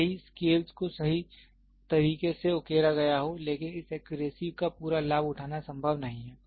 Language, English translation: Hindi, Even though scales are engraved accurately it is not possible to take full advantage of this accuracy